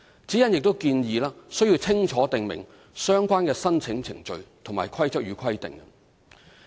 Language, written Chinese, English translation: Cantonese, 指引亦建議須清楚訂明相關的申請程序及規則與規定。, The guidelines also suggest that the application procedures and the rules and regulations concerned should be clearly specified